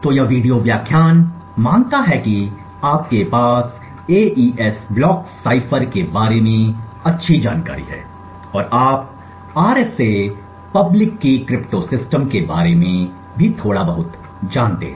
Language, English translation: Hindi, So this video lecture assumes that you have decent background about the AES block cipher and you also know a little bit about the RSA public key cryptosystem